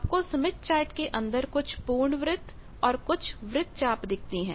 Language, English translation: Hindi, Two circles you see some full circles inside the smith chart some are arcs